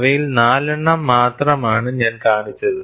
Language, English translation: Malayalam, I have shown only four of them